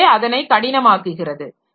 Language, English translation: Tamil, So, that makes it difficult